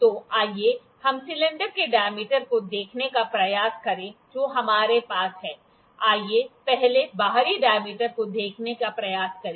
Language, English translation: Hindi, So, let us try to see the dia of the cylinder that we have, let us first try to see the external dia